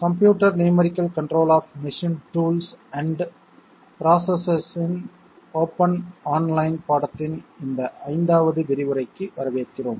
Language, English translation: Tamil, Welcome to this 5th lecture in the open online course Computer numerical control of machine tools and processes